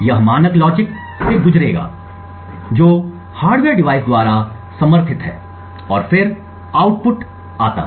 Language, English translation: Hindi, This would go through the standard logic which is supported by the hardware device and then the output goes